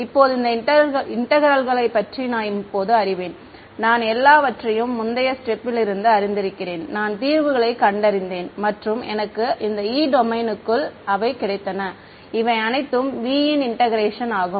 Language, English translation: Tamil, Now, I know this right these integrals I know now; I know everything because I was in the previous step, I have solved and I have got my E inside the domain right this integration was all V 2